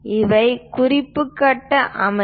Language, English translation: Tamil, These are the reference grid system